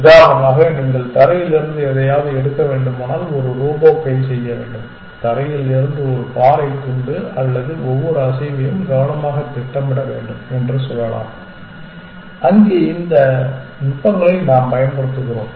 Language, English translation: Tamil, For example, a robot arm must do if you have to pick up something from the ground, let us say piece of rock from the ground or something every move have to be has to be planned carefully and there we use the lot of these techniques